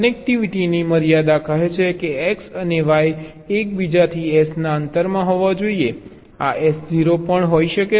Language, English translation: Gujarati, the connectivity constraints says that x and y must be within distance s of each other, this s can be zero also